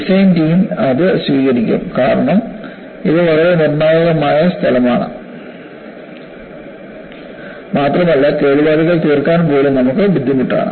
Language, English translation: Malayalam, And the design team would also accept, yes, because it is a very critical location and any damage would be difficult for you to even repair